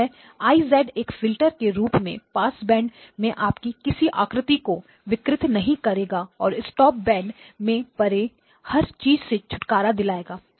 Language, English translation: Hindi, So I of z has to be a filter that does not distort you in the passband and gets rid of everything beyond the stopband